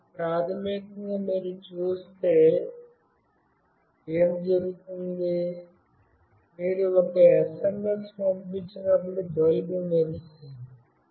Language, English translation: Telugu, Now, what is basically happening if you see, the bulb will glow when you send an SMS